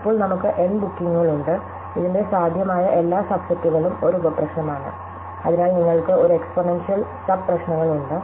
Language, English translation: Malayalam, Now, we have N bookings and every possible subset of this is a sub problem, so we have an exponential number of sub problems